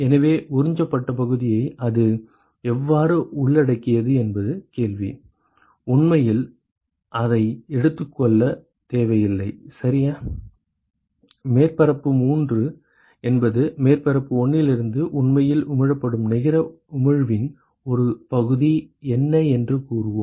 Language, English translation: Tamil, So, the question is how does it include the absorbed part we do not have to include that right whatever is received by let us say surface 3 is essentially what is a fraction of what is actually emitted net emission from surface 1